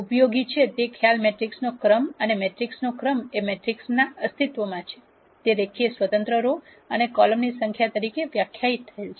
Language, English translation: Gujarati, The concept that is useful is the rank of the matrix and the rank of the matrix is de ned as the number of linearly independent rows or columns that exist in the matrix